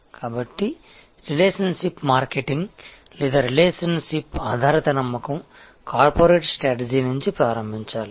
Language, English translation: Telugu, So, the relationship marketing or relationship based trust has to start from the corporate strategy